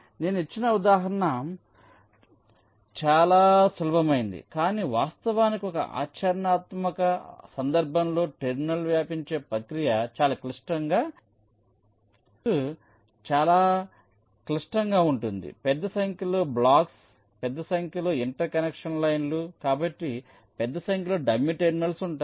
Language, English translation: Telugu, but actually in a practical case the terminal propagation process is very complex because the net can be pretty complicated: large number of blocks, large number of inter connection lines, so there will be large number of dummy terminals